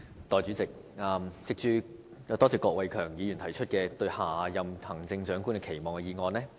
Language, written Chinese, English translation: Cantonese, 代理主席，多謝郭偉强議員提出"對下任行政長官的期望"的議案。, Deputy President I thank Mr KWOK Wai - keung for proposing the motion on Expectations for the next Chief Executive